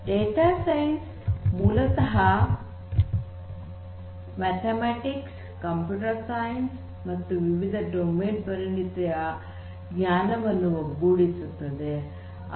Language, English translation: Kannada, So, basically data science combines the knowledge from mathematics, computer science and domain expertise